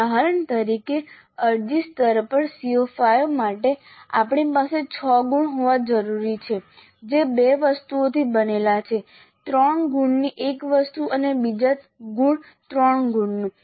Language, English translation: Gujarati, For example for CO5 at apply level we need to have 6 marks that is made up of 2 items, 1 item of 3 marks and another item of three marks